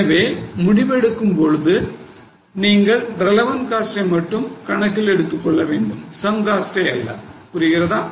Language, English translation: Tamil, Now, while taking decisions, you should only look at the relevant cost and not look at sunk costs